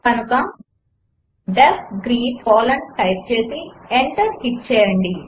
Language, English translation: Telugu, So type def greet() colon and hit enter